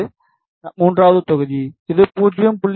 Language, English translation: Tamil, This was third block it is 0